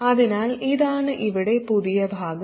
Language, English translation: Malayalam, So this is the new part here